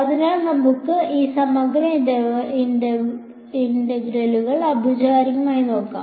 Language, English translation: Malayalam, So, let us formally these integral equations